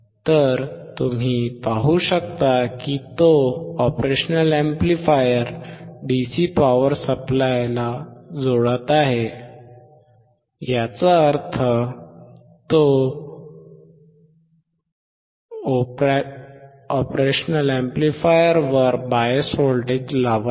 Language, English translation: Marathi, So, you can see he is connecting DC power supply to the operational amplifier; that means, he is applying bias voltage to the op amp